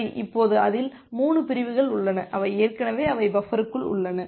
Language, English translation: Tamil, Now out of that there are 3 segments, which are already they are inside the buffer